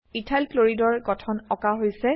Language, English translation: Assamese, Structure of Ethyl chloride is drawn